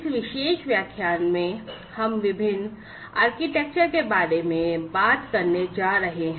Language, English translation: Hindi, In this particular lecture, we are going to talk about the difference architecture